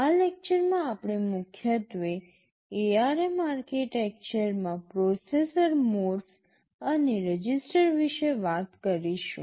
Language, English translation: Gujarati, In this lecture we shall be mainly talking about the processor modes and registers in the ARM architecture